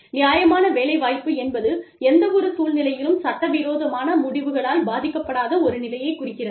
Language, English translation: Tamil, Fair employment refers to, any situation in which, employment decisions are not affected, by illegal discrimination